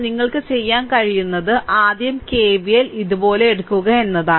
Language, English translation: Malayalam, So, what you can do is that first take KVL like this, you take KVL here